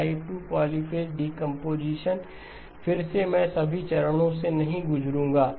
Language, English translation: Hindi, Type 2 polyphase decomposition again I would not go through all the steps